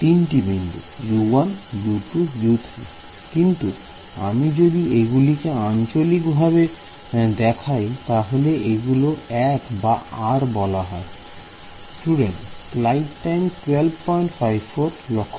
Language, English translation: Bengali, Three nodes U 1 U 2 U 3, but if I am referring inside locally then this refers to l or r